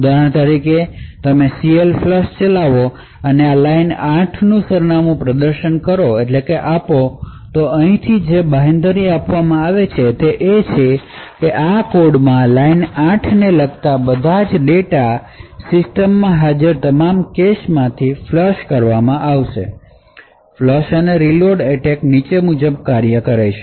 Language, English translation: Gujarati, So for example, you execute CLFLUSH and provide the address of the line 8, and what would be guaranteed from here is that the line 8 all the data corresponding to line 8 in this code would be flushed from all the caches present in the system, so the flush and reload attack works as follows